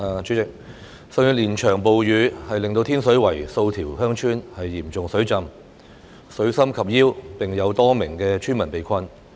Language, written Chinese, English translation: Cantonese, 主席，上月連場暴雨令天水圍數條鄉村嚴重水浸，水深及腰並有多名村民被困。, President last month a series of severe rainstorms caused serious flooding at a number of villages in Tin Shui Wai with floodwater reaching the waist level and quite a number of villagers being trapped